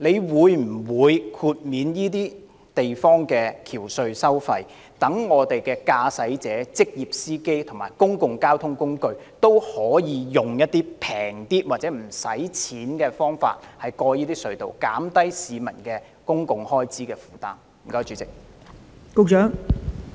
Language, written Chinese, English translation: Cantonese, 他會否豁免該等地區的橋隧收費，讓駕駛者、職業司機及公共交通工具可以較便宜的費用甚或免費使用隧道，從而減輕市民的交通開支負擔呢？, Will he waive the tolls of the bridges and tunnels in these areas so that motorists professional drivers and public transport will be charged lower or no tolls for using the tunnels thereby alleviating the burden of travelling expenses on the public?